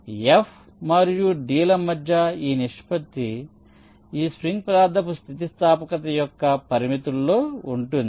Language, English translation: Telugu, so this proportionality between f and d, this will hold for this spring material within limits of its elasticity